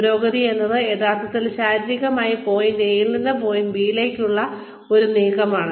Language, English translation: Malayalam, Advancement is, actually, physically, making a move from, point A to point B